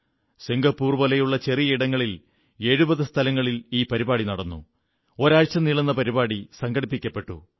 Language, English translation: Malayalam, In a small country like Singapore, programs were organised in 70 places, with a week long campaign